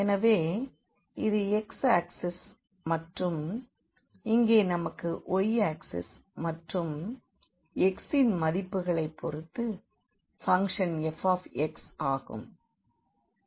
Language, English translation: Tamil, So, this is x axis and then here we have the y axis and this is the function f x with respect to the values of x